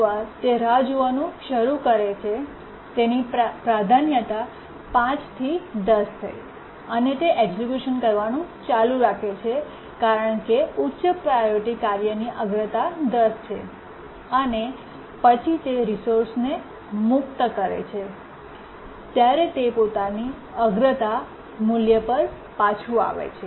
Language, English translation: Gujarati, Sorry, once it starts waiting, its priority changes from 5 to 10 and it keeps on executing as a high priority task with priority 10 and then as it religious resource it gets back its own priority value